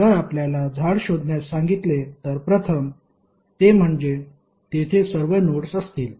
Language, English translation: Marathi, If you ask to find out the tree then first is that it will contain all nodes